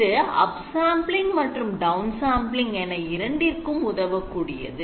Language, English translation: Tamil, Now this can be used both for up sampling and it can be used for down sampling